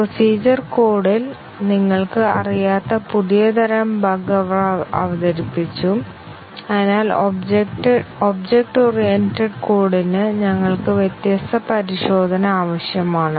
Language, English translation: Malayalam, They introduced new types of bug which you were not aware in procedural code and therefore, we need different testing for object oriented code